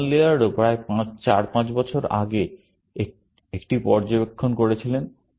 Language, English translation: Bengali, John Laird also made an observation about four or five years ago